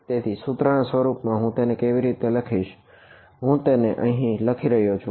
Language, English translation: Gujarati, So, in the equation form what will I write it as, I will maybe I can write it over here now